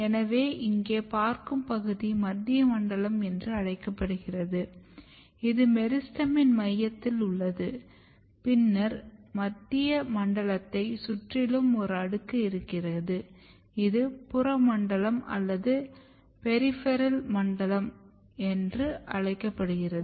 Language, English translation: Tamil, So, the this domains which you look here this is called central zone, this is in the centre of the meristem then you have a layer just flanking the central region which is called peripheral zone